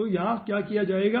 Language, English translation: Hindi, so what will be doing over here